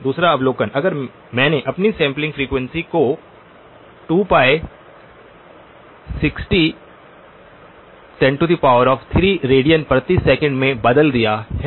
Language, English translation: Hindi, Second observation, if I had changed my sampling frequency to 2pi times 60 kilohertz 60 kilo radians per second okay